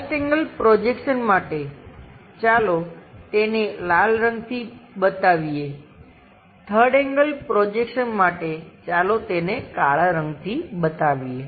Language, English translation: Gujarati, For 1st angle projection, the view let us show it by red color; for 3rd angle projection, let us show it by black color